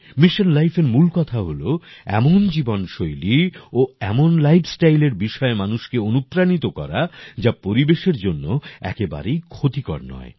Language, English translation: Bengali, The simple principle of Mission Life is Promote such a lifestyle, which does not harm the environment